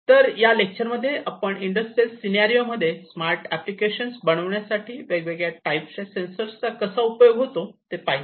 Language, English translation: Marathi, So, in this particular lecture we have seen the use of these different types of sensors for making smart applications in industrial scenarios